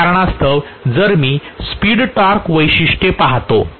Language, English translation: Marathi, Because of which if I actually look at the speed torque characteristic